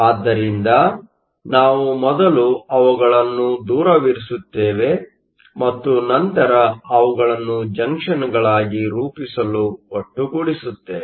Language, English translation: Kannada, So, we will first put them far apart and then bring them together to form the junction